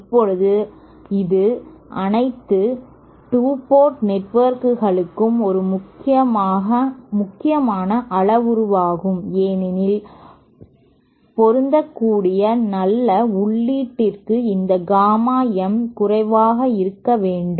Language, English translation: Tamil, Now this is a important parameter for all 2 port networks because as we saw that for good input matching this gamma m should be as low as possible preferably 0